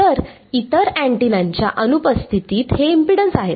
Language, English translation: Marathi, So, these are the impedances in the absence of the other antennas